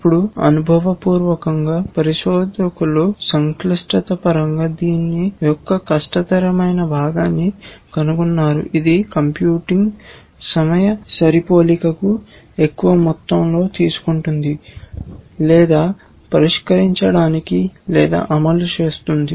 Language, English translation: Telugu, Now, empirically people have found which is the hardest part of this, in terms of complexity, which one will take the most amount of computing time match or resolve or execute